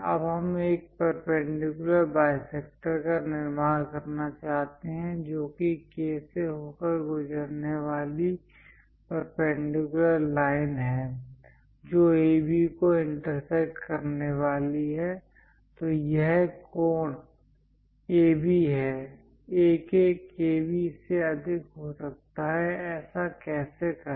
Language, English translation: Hindi, Now, what we would like to do is; construct a perpendicular bisector, perpendicular line passing through K, which is going to intersect AB; so that this angle is AB; AK is greater than KB; how to do that